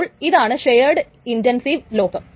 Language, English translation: Malayalam, So this is a shared intensive lock